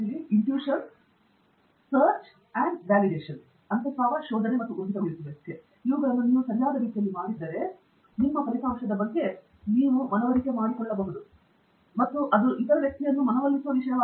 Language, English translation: Kannada, If you have done all of these in a proper way, then you can be convinced about your result and it is all a matter of convincing the other person